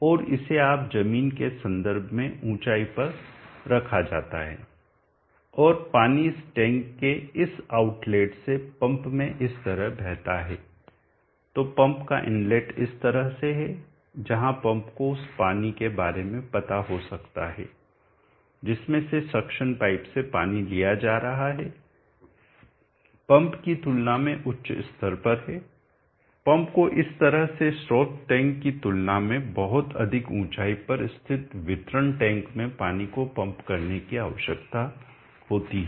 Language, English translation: Hindi, And it is placed at a height above common ground reference and the water flows from this out let of this tank into pump like this so the inlet to the pump is in this fashion where the pump may be aware the water which is being sucked in through the section pipe is at a higher level than the pump itself part the pump needs to pump the water to a much greater height located in this fashion where the delivery tank is at a much higher level than the source tank